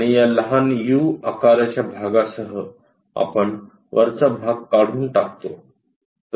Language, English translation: Marathi, And with this small u kind of portion, we remove the top portion